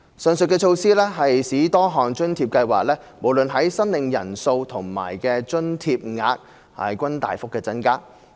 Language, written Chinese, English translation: Cantonese, 上述措施使多項津貼計劃無論在申領人數和津貼額均大幅增加。, As a result of these measures various allowance schemes have seen dramatic increases in both the number of recipients and the rates of allowances